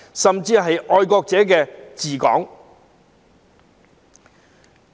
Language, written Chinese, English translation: Cantonese, 甚麼是"愛國者治港"？, What is patriots administering Hong Kong?